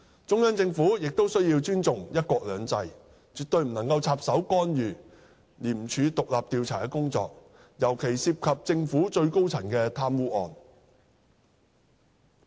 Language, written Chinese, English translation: Cantonese, 中央政府亦須尊重"一國兩制"，絕不能插手干預廉署獨立的調查工作，尤其涉及政府最高層的貪污案。, The Central Government should also respect one country two systems and absolutely cannot meddle with or intervene in the independent investigations of ICAC especially cases of corruption involving the highest echelon of the Government